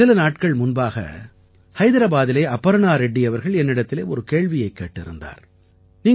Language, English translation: Tamil, A few days ago Aparna Reddy ji of Hyderabad asked me one such question